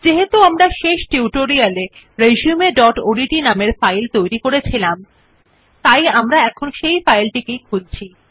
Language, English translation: Bengali, Since we have already created a file with the filename resume.odt in the last tutorial we will open this file